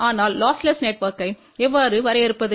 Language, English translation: Tamil, But how we define lossless network